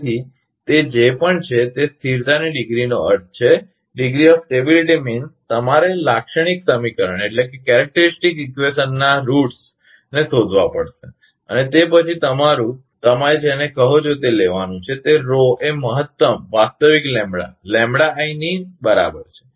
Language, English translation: Gujarati, So, whatever it is, that degree of stability means; you have to find out the character roots of the characteristic equation and then, you have to take your, what you call that Rho is equal to max of real lambda I